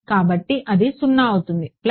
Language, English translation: Telugu, So, it will be 0 plus